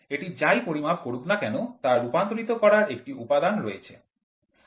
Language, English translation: Bengali, Whatever it measures, it gets converted variable conversion elements are there